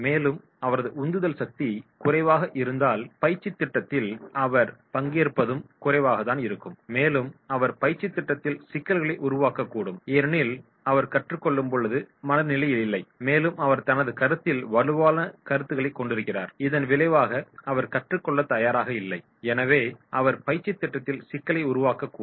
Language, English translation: Tamil, And if his level of motivation is low then his participation in the training program will be also low and he may create the problems in the training program because he is not in the mood to learn, and he is having the strong opinion about his perception and as a result of which he is not open to learn so he may create the problem in the training program